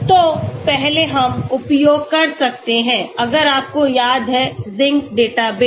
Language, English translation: Hindi, So first we can use, if you remember Zinc database